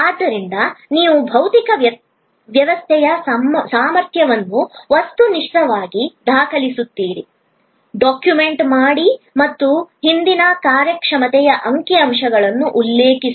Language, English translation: Kannada, So, you objectively document physical system capacity, document and cite past performance statistics, etc